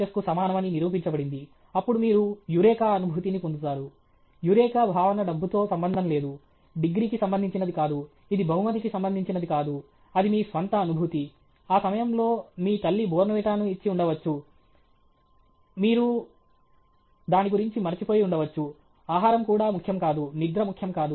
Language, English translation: Telugu, S proved okay; then you get the Eureka feeling okay; that Eureka feeling is not related to money, is not related to degree, it is not related to prize, that is your own feeling; at that time your mother might have kept Bournvita, all that you forgot, all that, even food was not important, sleep was not important